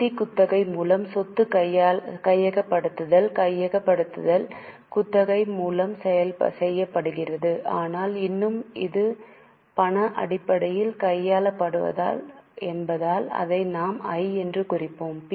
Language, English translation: Tamil, Acquisition of property by means of financial lease acquisition is being made by lease but still it is an acquisition in cash terms so we will mark it as I